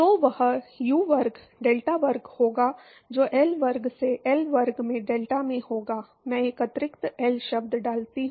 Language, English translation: Hindi, So, that will be U square delta square by L square into delta into L oops, I put an extra L term